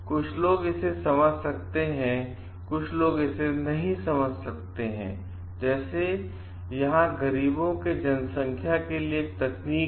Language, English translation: Hindi, Some people may understand it, some people may not understand it; like, here the population as we mentioned it is a technology for the poor